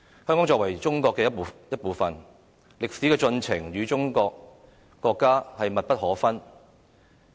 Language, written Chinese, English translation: Cantonese, 香港作為中國的一部分，歷史的進程與國家密不可分。, As Hong Kong is a part of China its history is closely related to that of the country